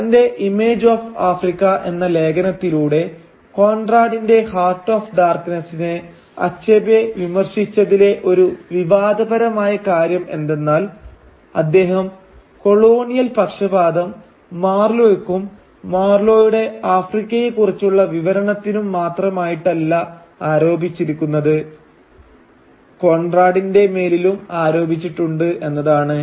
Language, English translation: Malayalam, Now one controversial aspect of Achebe’s criticism of Heart of Darkness in his essay “Image of Africa” is that he ascribes the colonial bias not merely to Marlow and his narration of Africa but to Conrad himself